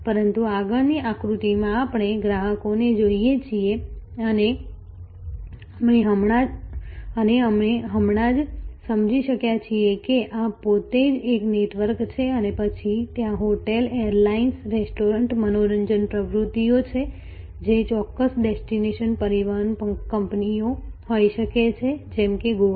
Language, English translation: Gujarati, But, in the next diagram we look at customers and we have just understood that this itself is actually a network and then, there are hotels, airlines, restaurants, entertainment activities, transportation companies of a particular destination say Goa